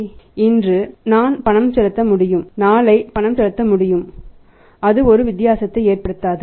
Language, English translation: Tamil, I can make the payment today I can make the payment tomorrow it does not matter it does not make a difference